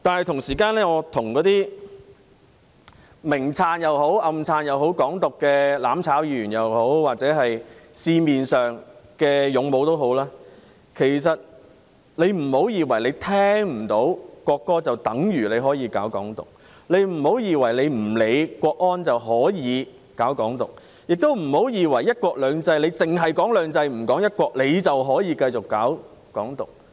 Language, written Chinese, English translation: Cantonese, 同時，我想跟或明或暗支持"港獨"的"攬炒"議員或社會上的"勇武"說，別以為聽不到國歌，便等於可以搞"港獨"，別以為不理會港區國安法，便可以搞"港獨"，亦不要以為在"一國兩制"下，只談"兩制"不談"一國"，便可以繼續搞"港獨"。, At the same time I would like to tell Members from the mutual destruction camp who overtly or covertly support Hong Kong independence or valiant protesters in society that they should not mistakenly believe that when they do not hear the national anthem they can champion Hong Kong independence or when they disregard the Hong Kong national security law they can champion Hong Kong independence . Nor should they believe that under one country two systems they can continue to champion Hong Kong independence by only referring to two systems and disregarding one country